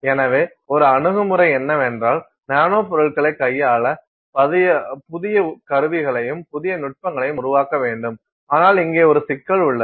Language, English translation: Tamil, So, one approach would be then that you have to create new instruments and new techniques to handle nanomaterials, but then you have a problem here